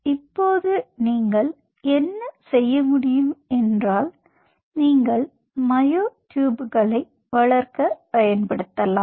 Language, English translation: Tamil, ok, now what you can do is you can use these to grow myotubes